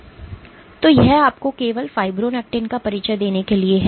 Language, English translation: Hindi, So, this is just to give you an intro to Fibronectin